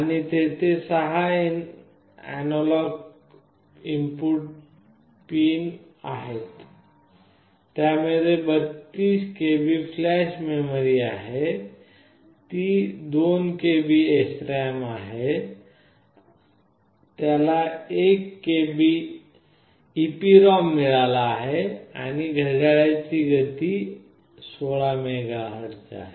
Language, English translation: Marathi, And there are 16 analog input pin, it has a flash memory of 32 KB, it provides SRAM of 2 KB, it has got an EEPROM of 1 KB, and the clock speed is 16 MHz